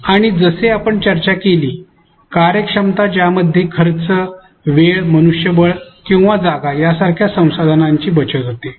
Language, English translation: Marathi, And, efficiency as we discussed which entails saving of resources such as cost time manpower or space